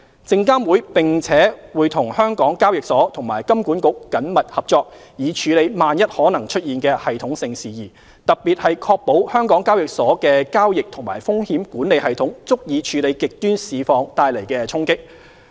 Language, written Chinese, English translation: Cantonese, 證監會並且與香港交易所和金管局緊密合作，以處理萬一可能出現的系統性事宜，特別是確保香港交易所的交易及風險管理系統足以處理極端市況帶來的衝擊。, SFC also works closely with the Stock Exchange of Hong Kong HKEX and HKMA to address potential systemic issues in case they arise in particular ensuring that the trading and risk management systems of HKEX can adequately handle shocks under extreme market situations